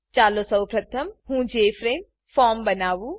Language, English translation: Gujarati, Let us first create the Jframe form